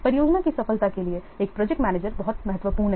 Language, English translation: Hindi, A project manager is very much vital to the success of the project